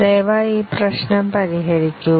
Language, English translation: Malayalam, Please work out this problem